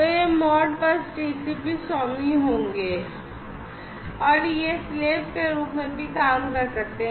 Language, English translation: Hindi, So, these basically would be the Modbus TCP masters or they can even act as the slaves